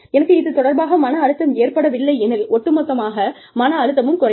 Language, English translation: Tamil, And, if I do not take on that stress, the overall level of stress, comes down